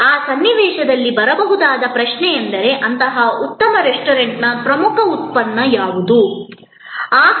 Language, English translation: Kannada, The question that can come up in that context is, but what exactly is the core product of such a good restaurant